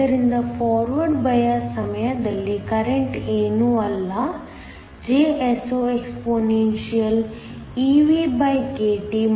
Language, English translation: Kannada, So, the current during forward bias is nothing but, JsoexpeVkT 1